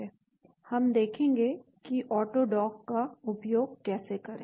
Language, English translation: Hindi, We will look at how to use AutoDock